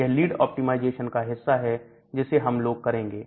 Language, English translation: Hindi, So, that is the lead optimization part which we do